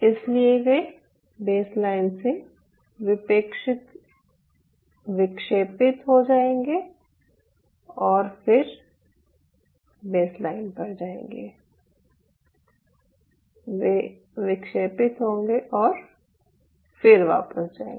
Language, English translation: Hindi, so they will deflect from the baseline and they will go back to the baseline